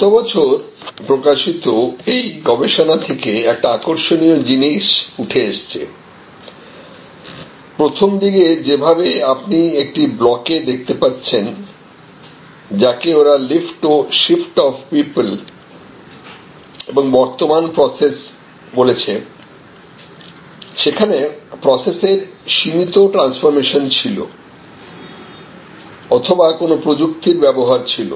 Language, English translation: Bengali, This is an interesting extraction from the research, which was published last year and it shows that in the initial period as you can see here in this block, what they call lift and shift of people and existing processes with limited transformation of processes or they are enabling technologies